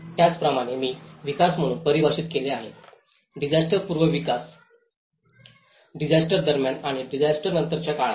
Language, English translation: Marathi, Similarly, as I defined to as a development, the pre disaster development, during disaster and the post disaster